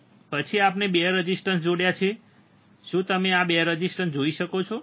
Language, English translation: Gujarati, Then we have connected 2 resistors, can you see 2 resistors